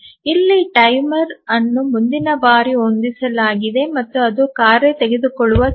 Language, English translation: Kannada, So, here the timer is set for the next time and that is the time that the task takes